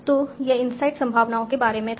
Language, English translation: Hindi, So this was about inside probabilities